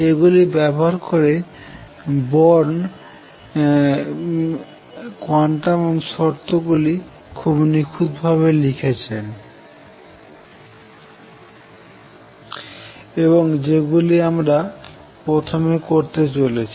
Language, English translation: Bengali, Using these Born wrote the quantum condition in a very neat way and that is what we are going to do first